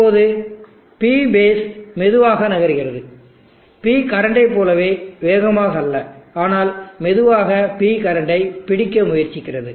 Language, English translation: Tamil, Now let us say that the P base is also moving slowly not as fast as P current, but slowly moving up trying to catch up with P current